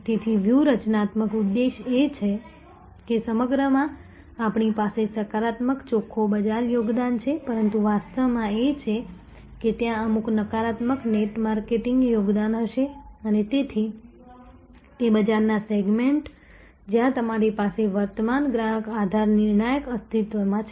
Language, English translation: Gujarati, So, strategic objective is of course, all across we have positive net market contribution, but in reality that is the there will be some negative net marketing contribution and therefore, those market segments, where you have existing customer base retention of that existing customer base crucial